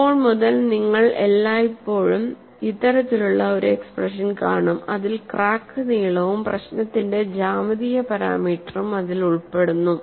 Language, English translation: Malayalam, And from now on, you will always see this kind of expression, involving the crack length and a geometric parameter of the problem